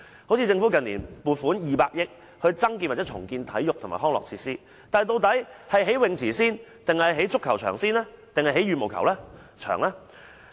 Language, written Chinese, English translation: Cantonese, 好像政府近年撥款200億元增建或重建體育及康樂設施，但究竟應先興建泳池、足球場還是羽毛球場呢？, For instance over the recent years the Government has allocated 20 billion on constructing or rebuilding sports and recreational facilities but what facilities should the Government construct first? . Swimming pools football pitches or badminton courts?